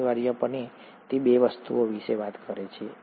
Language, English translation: Gujarati, Essentially it talks about two things